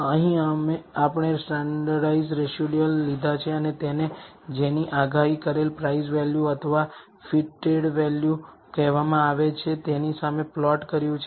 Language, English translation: Gujarati, Here we have taken the standardized residuals and plotted it against the, what is called the predicted price value or the fitted value